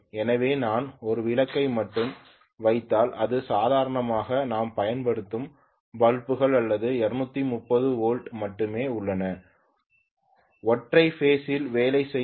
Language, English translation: Tamil, So if I put only 1 bulb this is all you know single phase bulbs whatever bulbs we are using normally or working on single phase that is only 230 volts